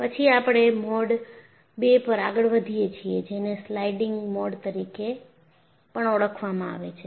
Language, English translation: Gujarati, Then, we move on to Mode II, which is also known as a Sliding Mode